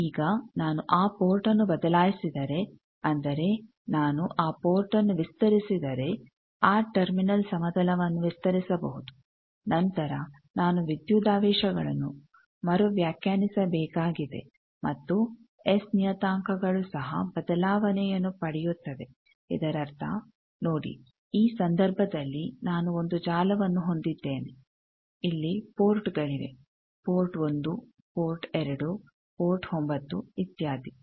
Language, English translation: Kannada, Now, if I change that port that means, if I extend that port that terminal plane I can extend, I can then need to redefine the voltages and the S parameters will also get change so that means, see in this case that I have a network, I had the ports here port one, port two, port nine, etcetera